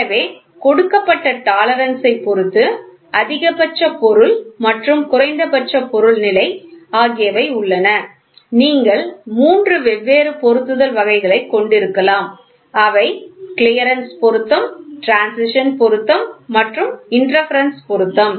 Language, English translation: Tamil, So, depending upon the tolerance which is given there maximum material and minimum material condition you can have three different types, of fits clearance fit, transition fit and interference fit